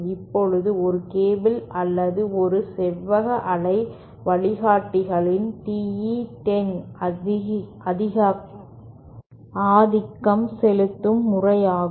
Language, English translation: Tamil, Now, for a cable or for a rectangular waveguide TE10 is the dominant mode